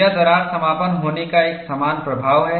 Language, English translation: Hindi, It has a similar effect of crack closure